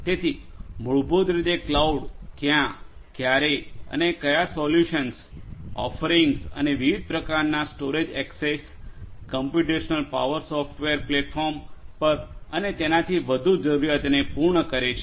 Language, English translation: Gujarati, So, basically cloud fulfills the need of what, when and where solutions, offerings, you know different types of storage access to computational power software platform and so on different types of accesses and so on